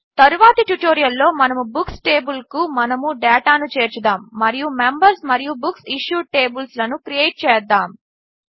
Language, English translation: Telugu, In the next tutorial, we will add data to the Books table and create the Members and BooksIssued tables